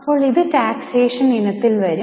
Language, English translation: Malayalam, Now this will fall in the taxation type of items